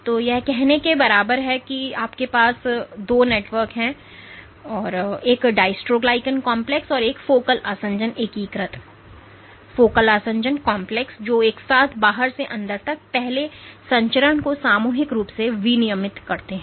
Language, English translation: Hindi, So, this is equivalent of saying that you have two networks a dystroglycan complex and a focal adhesion integrating, focal adhesion complex which together collectively regulate the first transmission from the outside to the inside